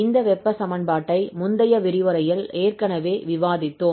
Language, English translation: Tamil, So, we have already discussed this heat equation in the previous lecture